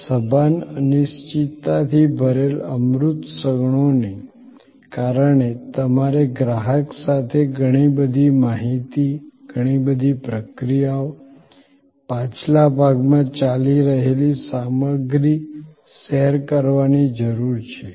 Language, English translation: Gujarati, Because of this conscious uncertainty filled intangible moments, you need to share with the customer, a lot of information, lot of process, the stuff that are going on in the back ground